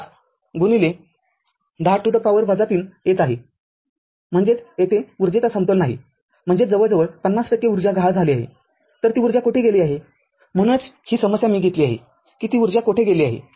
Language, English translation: Marathi, 5 into 10 to the power minus 3 joules ; that means, the energy balance is not there; that means, some 50 percent of the energy is missing then where that energy has gone right that is that is why this problem I have taken that where that energy has gone